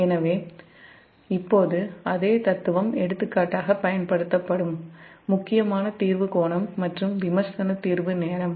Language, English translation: Tamil, so now same philosophy will be applied, for example the critical clearing angle and critical clearing time